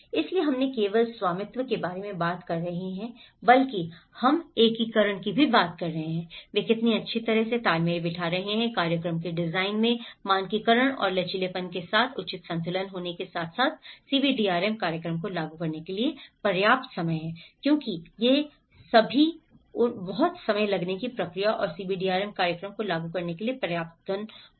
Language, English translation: Hindi, So, we are not only talking about the ownership but we are also talking the integration, how well they are coordinating with, having an appropriate balance with standardization and flexibility in the program design and also having sufficient time to implement CBDRM program because these are all very much time taking process and having sufficient funding implementing the CBDRM program